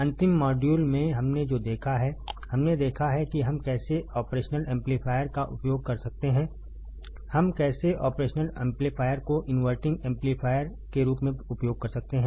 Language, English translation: Hindi, And in the last module, what we have seen, we have seen how we can use operational amplifier, how we can use operational amplifier as the inverting amplifier right